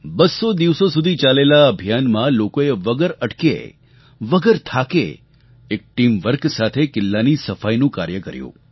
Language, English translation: Gujarati, In this campaign lasting for two hundred days, people performed the task of cleaning the fort, nonstop, without any fatigue and with teamwork